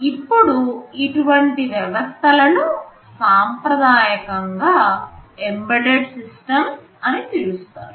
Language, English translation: Telugu, Now, such systems are traditionally referred to as embedded systems